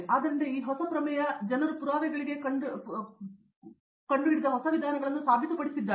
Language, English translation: Kannada, So, there are these new theorem people have proved new approaches they have discovered to proof things